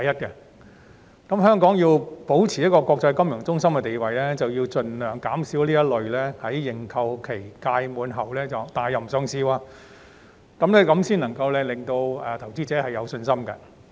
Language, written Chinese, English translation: Cantonese, 香港如要保持國際金融中心的地位，便須盡量減少這種在認購期屆滿後撤回上市的情況，以給予投資者信心。, If Hong Kong is to maintain its status as an international financial centre it should do its best to avoid any listing being withdrawn after the end of the subscription period like what happened in this case so as to boost investors confidence